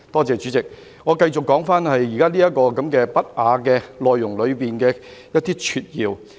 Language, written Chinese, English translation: Cantonese, 主席，我繼續說回這些不雅內容裏的一些撮要。, President I continue with the summary of these indecent contents in question